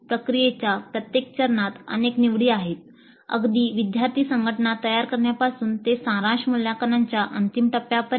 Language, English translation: Marathi, There are many choices at every step of the process right from forming student teams to the final step of summative evaluation